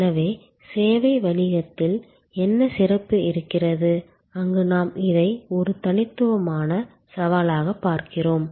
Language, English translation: Tamil, So, what is so special in case of service business, where we see this as a unique set of challenges